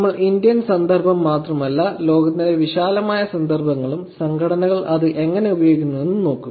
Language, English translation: Malayalam, We will not just look at only Indian context, we will also look at broader context in the world, how organizations are actually using it